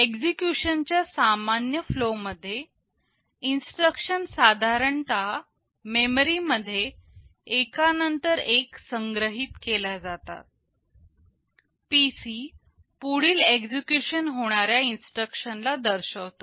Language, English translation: Marathi, In the normal flow of execution; the instructions are normally stored one after the other in memory, PC points to the next instruction to be executed